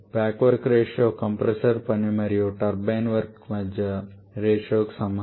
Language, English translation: Telugu, Back work ratio is equal to the compressor work by turbine work, now what is your compressor work